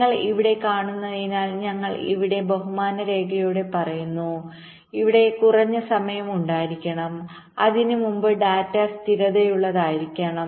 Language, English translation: Malayalam, so here we are saying in there, with respect diagram, that there must be a minimum time here before which the data must be stable